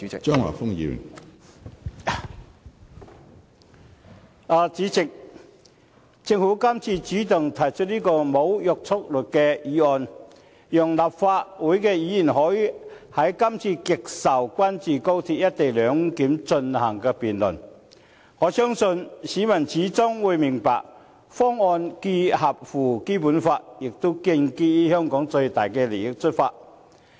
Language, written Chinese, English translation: Cantonese, 主席，政府今次主動提出這項無約束力的議案，讓立法會議員可以就今次極受關注的高鐵"一地兩檢"進行辯論，我相信市民最終會明白，方案既符合《基本法》，也建基於從香港的最大利益。, President this time around the Government takes the initiative to propose this motion with no binding effect so that legislators may debate the co - location arrangement of the Express Rail Link XRL which the public are very concerned about . I believe the public will eventually understand that the proposal is in compliance with the Basic Law and in the best interest of Hong Kong